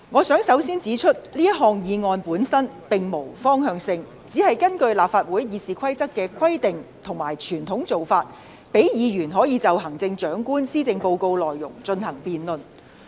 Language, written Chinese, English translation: Cantonese, 首先，我想指出這項議案本身並無方向性，只是根據立法會《議事規則》的規定和傳統做法，讓議員可就行政長官施政報告的內容進行辯論。, First of all I would like to point out that the motion itself does not take any direction but is moved in accordance with the Rules of Procedure of the Legislative Council and the traditional practice so that Members may debate the policy addresses of the Chief Executive